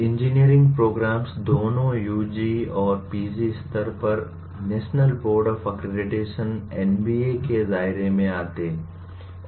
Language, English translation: Hindi, The engineering programs, both at UG and PG level come under the purview of National Board of Accreditation NBA